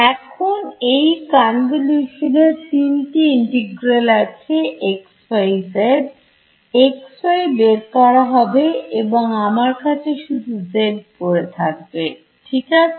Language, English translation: Bengali, Now, off these when I this convolution will have 3 integrals xyz; x y will pop out right I will only be left with z right